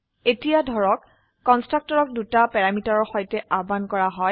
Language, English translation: Assamese, Suppose now call a constructor with two parameters